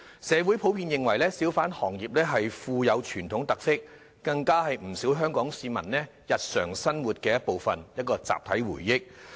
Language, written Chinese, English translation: Cantonese, 社會普遍認為小販行業富有傳統特色，更是不少香港市民日常生活的一部分，是一項集體回憶。, The community generally thinks that the hawker industry has its traditional characteristics and is a part of the daily life of many Hong Kong people as well as our collective memory